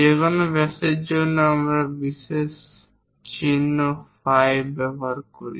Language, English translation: Bengali, For any diameters we use special symbol phi